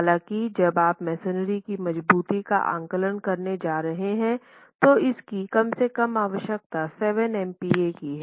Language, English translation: Hindi, However, when you are going to be reinforcing masonry, you need to have a minimum compressive strength of 7 MPA